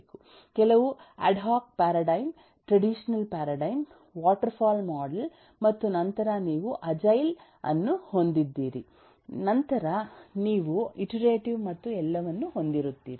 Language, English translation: Kannada, umm, some eh adhoc paradigm, traditional paradigm, waterfall model, and then you have agile, then you have iterative and all those